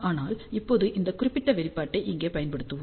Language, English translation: Tamil, But right now we will use this particular expression over here